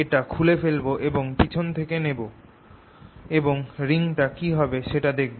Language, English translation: Bengali, i'll take this off and take it from behind and see what the reading would be